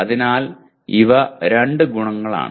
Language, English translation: Malayalam, So these are the two properties